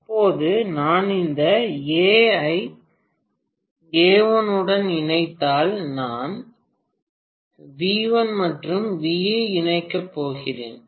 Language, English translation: Tamil, Now if I connect this is A, and A1 and along with A1, I am going to connect V1 and V, right